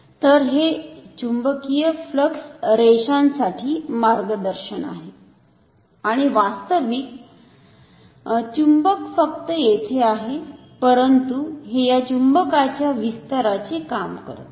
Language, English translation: Marathi, So, its it is a guide for the magnetic flux lines and the actual magnet is only here, but this acts as an extension to this magnet